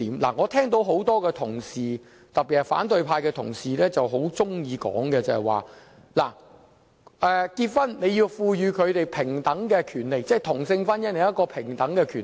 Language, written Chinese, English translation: Cantonese, 我聽到多位同事，特別是反對派同事，很喜歡說在婚姻上要賦予他們平等的權利，即同性婚姻要享有平等權利。, I noted many Honourable colleagues particularly colleagues from the opposition camp are keen on saying that they should be granted equal rights in marriage which means equality for same - sex marriage